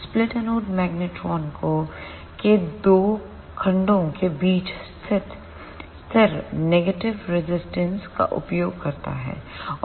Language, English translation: Hindi, The split anode magnetron use static negative resistance between two segments of the anode